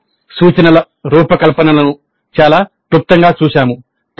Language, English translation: Telugu, So we looked at the instruction design very briefly